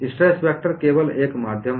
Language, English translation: Hindi, Stress tensor is only a via media